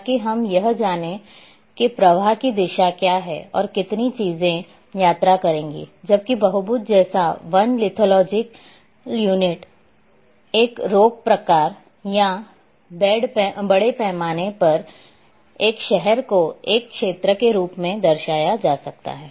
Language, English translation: Hindi, So, that we know what is the direction of flow and how much things have to flow or travel, Whereas, in case of polygon like forest lithological unit, a rock type or a city in a large scale map can be represented as an area